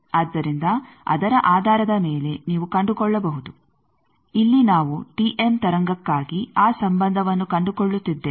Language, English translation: Kannada, So, based on that you can find, here we are for a T m wave we are finding that relationship